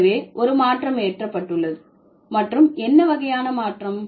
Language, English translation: Tamil, So, there has been a shift and what kind of a shift